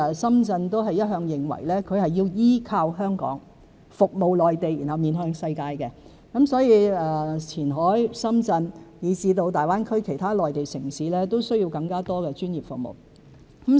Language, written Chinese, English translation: Cantonese, 深圳一向認為前海要依托香港、服務內地、面向世界，所以前海、深圳，以至大灣區其他內地城市也需要更多專業服務人才。, Shenzhen has all along considered that Qianhai must rely on Hong Kong serve the Mainland and face the world thus Qianhai Shenzhen and other Mainland cities in GBA need more talents providing professional services